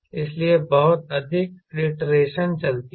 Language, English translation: Hindi, so lot of iteration goes on